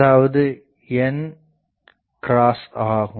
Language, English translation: Tamil, So, I can say 0